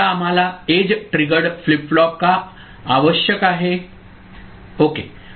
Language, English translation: Marathi, Now, why we require an edge triggered flip flop ok